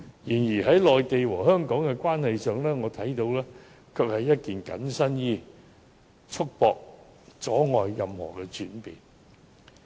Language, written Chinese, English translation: Cantonese, 然而，就我所見，在內地和香港的關係上，《基本法》就如同緊身衣，束縛及阻礙任何轉變。, Yet in respect of the relationship between the Mainland and Hong Kong the Basic Law from what I can see amounts to a straitjacket restraining and blocking any evolvement